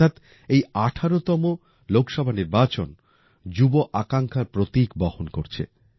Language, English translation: Bengali, That means this 18th Lok Sabha will also be a symbol of youth aspiration